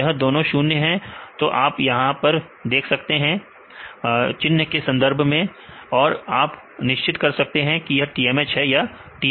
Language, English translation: Hindi, So, both are zeros right you can see with respect to the sign you can decide whether this is a TMH or this is a TMS